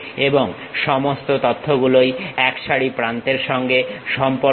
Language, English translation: Bengali, And, all this information is related to set of edges